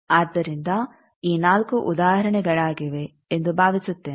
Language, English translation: Kannada, So, these four I think examples